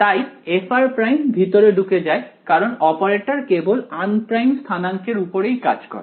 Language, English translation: Bengali, So, f of r prime goes in because the operator only acts on the unprimed coordinates right